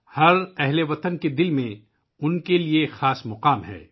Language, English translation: Urdu, He has a special place in the heart of every Indian